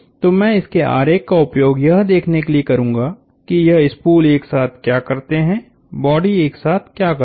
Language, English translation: Hindi, So, I will use diagram of this to see, what this spools do together, the bodies do together